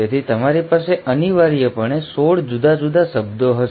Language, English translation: Gujarati, So you essentially, will have 16 different words